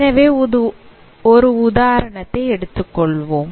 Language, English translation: Tamil, So let us take this example